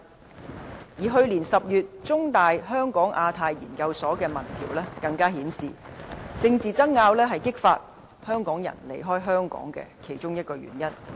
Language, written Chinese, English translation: Cantonese, 此外，去年10月，香港中文大學香港亞太研究所的民調更顯示政治爭拗是激發香港人離開香港的原因之一。, Moreover a survey conducted by the Hong Kong Institute of Asia - Pacific Studies of The Chinese University of Hong Kong last October showed that political wrangling was one of the factors for Hong Kong peoples decision to emigrate